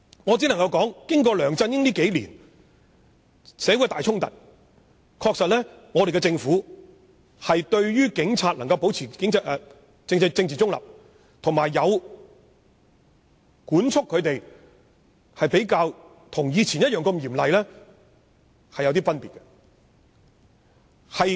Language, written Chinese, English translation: Cantonese, 我只能說，在梁振英管治的數年間，香港曾發生重大衝突，政府對警察須保持政治中立及對警察的管束比較鬆懈，不像以往般嚴厲。, I can only say that during the years of LEUNG Chun - yings governance there were major conflicts in Hong Kong and the Government had not taken the stringent measures as in the past and had been lax in requiring police officers to remain politically neutral and in regulating police officers